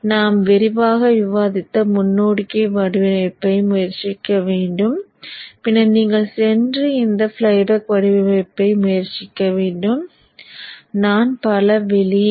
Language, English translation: Tamil, So try the forward design which we have discussed extensively and then you can go and try this flyback design